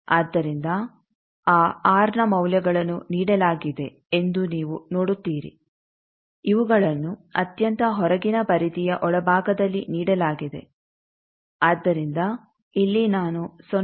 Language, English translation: Kannada, So, you see that on those R's the values are given, these are given at the inner side of the outer most periphery thing so there I am locating 0